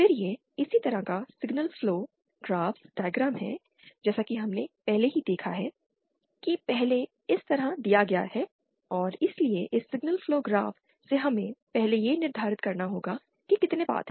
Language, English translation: Hindi, Then it is corresponding signal flow graphs diagram as we have already seen earlier is given like this and so from this signal flow graphs we have to 1st determine how many paths are there